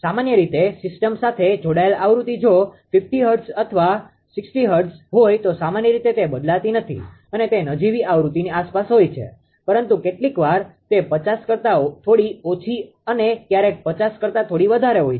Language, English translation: Gujarati, Generally that it is connected to the your your what you call yeah frequency of the system if it is a 50 hertz or 60 hertz that frequency is generally not changing that way right it is around nominal frequency, but sometimes little less than 50 sometimes a little more than 50 right